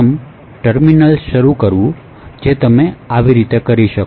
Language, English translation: Gujarati, terminal, so you could do it like this